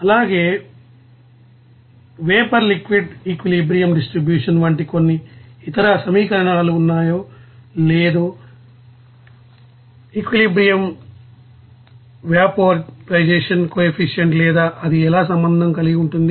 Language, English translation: Telugu, And also, some other equations like you know vapor liquid equilibrium distribution is there or not, equilibrium vaporization coefficient or not how it will be related